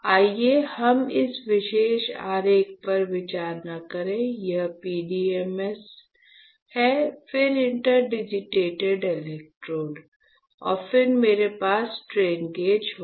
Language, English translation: Hindi, So, that let us not consider this particular diagram, this is my PDMS, then interdigitated electrodes, and then I will have my strain gauge, all right